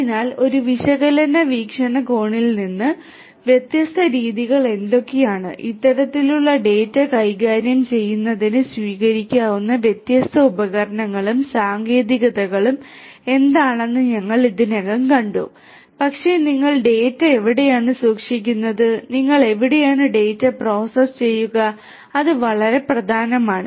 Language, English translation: Malayalam, So, from an analytics point of view we have already seen that what are the different methodologies, what are the different tools and techniques that could be adopted in order to handle this kind of data, but where do you store the data, where do you process the data, that is very important